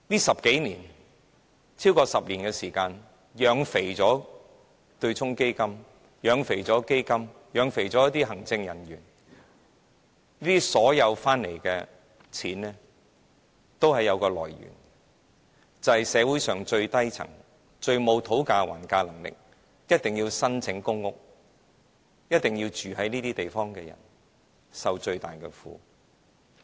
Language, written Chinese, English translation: Cantonese, 在這超過10年的時間，政府養肥了對沖基金、基金和行政人員，他們賺取的金錢全都有來源，就是來自社會上最低層、最沒有討價還價能力、一定要申請公屋和住在這些地方的人，他們受着最大的苦。, During the past decade or so the Government has fattened not only hedge funds but also funds and executives . All the money they earn comes from the people in the lowest stratum of society who hold the least bargaining power and must apply for and live in public housing flats . Moreover they are suffering the most